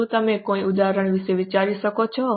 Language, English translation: Gujarati, Can you think of any example